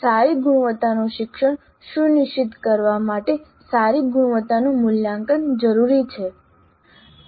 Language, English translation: Gujarati, A good quality assessment is essential to ensure good quality learning